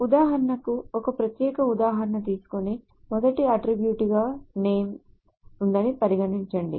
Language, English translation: Telugu, So for example, let us take a particular example and say we have name as the first attribute